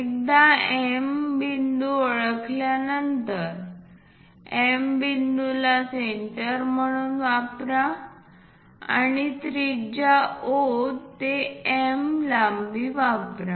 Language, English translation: Marathi, Once we identify M point, what we have to do is use M as centre and radius MO to locate J point